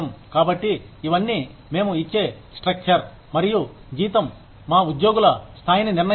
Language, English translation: Telugu, So, these are all determinants of the pay structure, and the level of salary, that we give to our employees